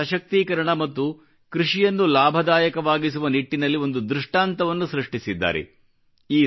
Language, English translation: Kannada, She has established a precedent in the direction of women empowerment and farming